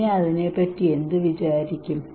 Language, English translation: Malayalam, Then what to think about it